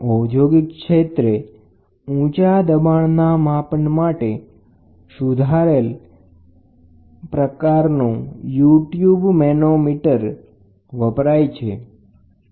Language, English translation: Gujarati, An improved U tube manometer is used for measurement of high pressure for industrial application this is one